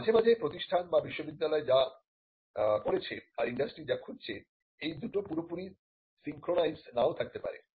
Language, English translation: Bengali, And sometimes what the institute has done the university has done may not be completely in sync with what the industry is looking for